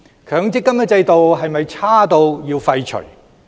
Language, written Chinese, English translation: Cantonese, 強積金制度是否差至要廢除？, Is the MPF System so awful to the extent that it has to be abolished?